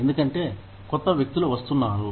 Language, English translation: Telugu, Because, newer people are coming in